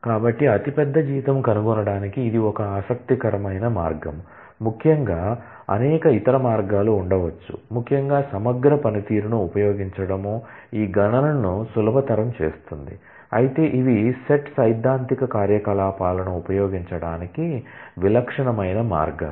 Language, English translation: Telugu, So, this is a interesting way to find the largest salary we will see later on that there could be several other ways particularly the use of aggregate function, which make these computations easier to perform, but these are the typical ways to use set theoretic operations